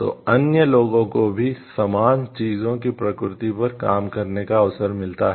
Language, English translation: Hindi, So, other people also get an opportunity to work on similar nature of things